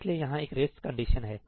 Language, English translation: Hindi, So, there is a race condition over here